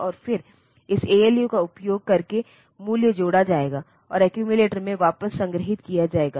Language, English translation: Hindi, And then the value will be added using this ALU, and stored back into the accumulator